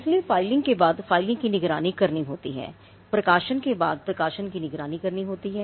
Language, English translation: Hindi, So, after the filing it has to monitor the filing, it has to take look at when the publication happens, it has to monitor the publication